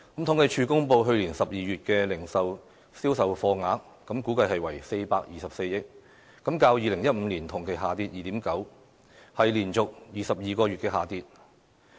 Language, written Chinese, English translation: Cantonese, 統計處公布去年12月的零售業銷貨額，估計為424億元，較2015年同期下跌 2.9%， 是連續22個月下跌。, According to the figures released by the Census and Statistics Department the monthly survey of retail sales for last December was estimated to be 42.4 billion 2.9 % down from the same period in 2015 a decline for 22 straight months